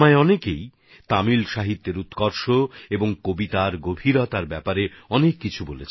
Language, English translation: Bengali, Many people have told me a lot about the quality of Tamil literature and the depth of the poems written in it